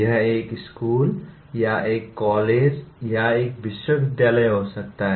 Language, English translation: Hindi, It could be a school or a college or a university